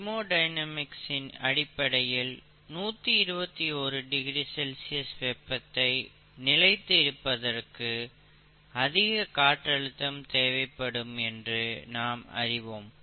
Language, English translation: Tamil, As we all know, thermodynamic steam, you know 121 degrees C, you need a higher pressure to maintain the conditions there